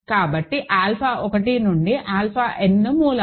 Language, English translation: Telugu, So, alpha 1 through alpha 1, n are the roots